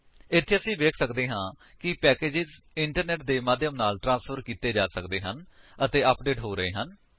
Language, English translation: Punjabi, Here we can see that the packages are being transferred through the Internet and are getting updated